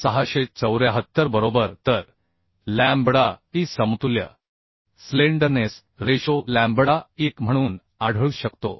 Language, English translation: Marathi, 5674 right So lambda e the equivalent slenderness ratio lambda e can be found as 1